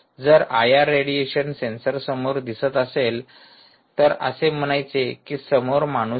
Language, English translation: Marathi, if this i r radiation appears in front of the sensor, it says there is a human